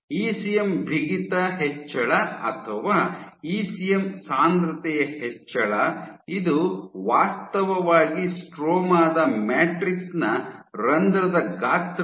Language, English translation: Kannada, So, increase in ECM stiffness or increase in ECM density, this should actually reduce the pore size of the matrix on the stroma